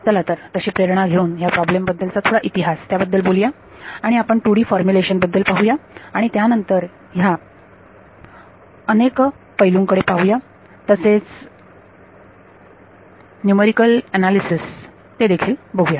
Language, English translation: Marathi, Let us get motivated and give some history about this problem and we will deal with the 2D formulation and then look at various aspects/numerical analysis of this method ok